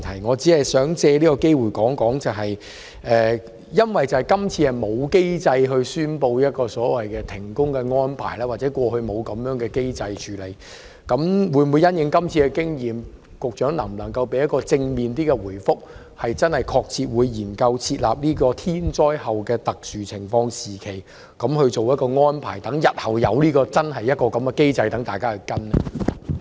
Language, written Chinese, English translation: Cantonese, 我只是想藉此機會說一說，今次沒有機制宣布所謂的停工安排，或過去沒有這樣的處理機制，但因應今次經驗，當局會否——不知局長能否提供一個比較正面的答覆——真正確切研究設立"天災後的特殊情況時期"這安排，讓日後真正設有這樣的機制，讓大家跟隨？, Nor was there any mechanism for handling such situations . However in the light of the experience gained on this occasion will the authorities seriously consider putting in place a mechanism for arranging a period of special circumstances after a natural disaster so that we can actually follow such a mechanism in the future? . I wonder if the Secretary can give a more positive response to this